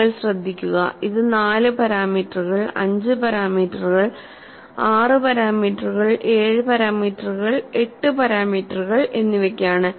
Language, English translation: Malayalam, You would notice, it is the four parameters, five parameters, six parameters, seven parameters, and eight parameters